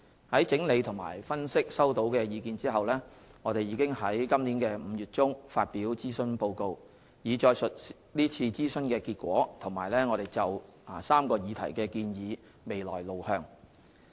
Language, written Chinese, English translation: Cantonese, 在整理和分析收到的意見後，我們已於今年5月中發表諮詢報告，以載述是次諮詢的結果和我們就3個議題的建議未來路向。, Having collated and analysed the views received we published the Consultation Report in mid - May to set out the outcome of the consultation and our proposed way forward for the three issues